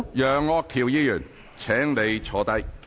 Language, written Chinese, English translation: Cantonese, 楊岳橋議員，請你坐下。, Mr Alvin YEUNG please sit down